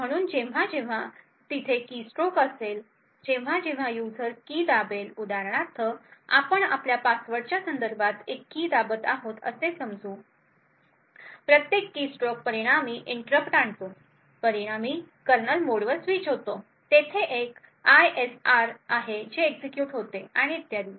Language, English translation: Marathi, So whenever there is a keystroke that is whenever a user presses a key for example let us say he is pressing a key with respect to his password, each keystroke results in an interrupt the interrupt results in a switch to kernel mode, there is an ISR that gets executed and so on